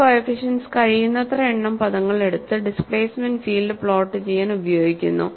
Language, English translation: Malayalam, And these coefficients are used to plot the displacement field by taking as many numbers of terms as possible